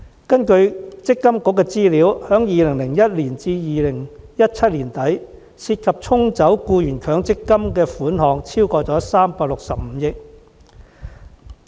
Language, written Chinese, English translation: Cantonese, 根據強制性公積金計劃管理局的資料，由2001年至2017年年底，僱員被"沖走"的強積金款項超過365億元。, According to the data of the Mandatory Provident Fund Schemes Authority between 2001 and the end of 2017 employees lost over 36.5 billion worth of MPF contributions due to the offsetting mechanism